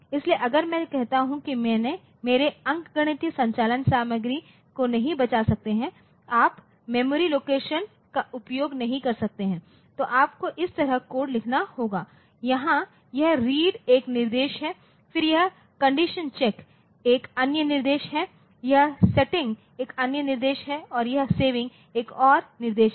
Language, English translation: Hindi, So, if I say that my arithmetic operations in an arithmetic operation I cannot save the content, you cannot use memory location so, then you have to write the code like this where this reading is one instruction, then this condition check is another instruction this setting is another instruction and this saving is another instruction